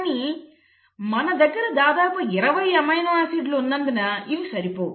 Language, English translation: Telugu, But that is still falling short because you have about 20 amino acids